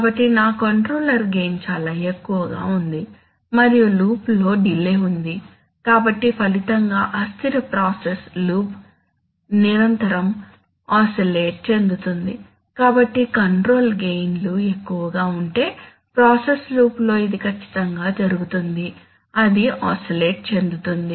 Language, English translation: Telugu, So my controller gain was very high and there was a delay in the loop, so in effect what resulted was an unstable process loop which was continuously oscillating, so this is exactly what tends to happen in a process loop if the controller gains are high, that it will tend to oscillate